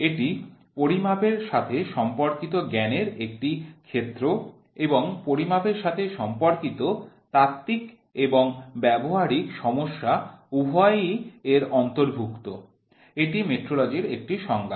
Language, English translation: Bengali, It is a field of knowledge concerned with measurements and includes both theoretical and practical problems related to measurement, is one definition of metrology